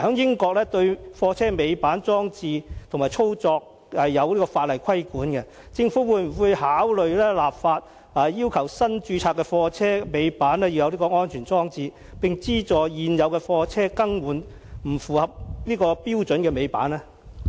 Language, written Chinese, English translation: Cantonese, 英國對貨車尾板裝置及操作是有法例規管的，我想問政府會否考慮立法，要求新註冊的貨車必須設有尾板安全裝置，並資助現有的貨車把不符合標準的尾板更換呢？, In the United Kingdom tail lift devices for goods vehicles and their operation are regulated by law . May I ask the Government whether it will consider enacting legislation to require that safety devices be installed in all newly - registered goods vehicles fitted with tail lift and subsidizing existing goods vehicles to replace their non - compliant tail lift?